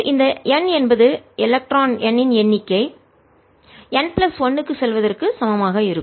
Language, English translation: Tamil, this is from going from n equal to number of electron, n to n plus one